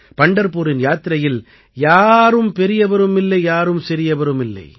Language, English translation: Tamil, In the Pandharpur Yatra, one is neither big nor small